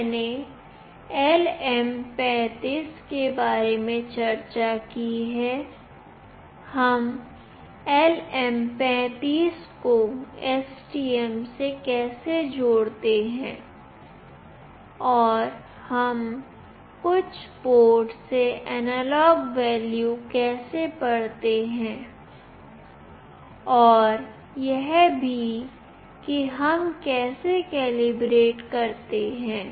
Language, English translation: Hindi, I have discussed about LM35, how do we connect LM35 with STM and how do we read an analog value from certain port and also how do we calibrate